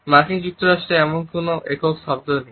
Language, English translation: Bengali, In the US there is no such single word for that